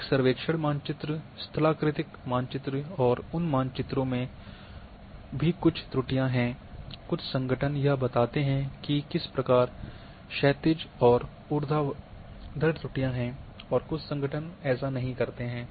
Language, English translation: Hindi, A survey map,topographic map and those maps too are having some errors,some organizations will declare that what kind horizontal and vertical errors are there some organizations do not